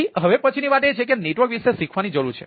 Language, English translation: Gujarati, so the next thing is that need to learn about the network, right